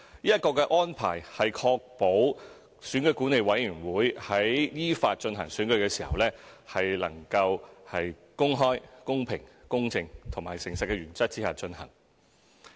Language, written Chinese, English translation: Cantonese, 這個安排是確保選舉管理委員會在依法進行選舉時，能夠在公開、公平、公正和誠實的原則下進行。, This arrangement is to ensure that elections held by EAC under the law are conducted in accordance with the principles of openness equity fairness and honesty